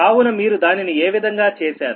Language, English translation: Telugu, what way you have done it, right